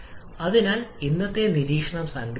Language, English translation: Malayalam, So, just to summarise today's observation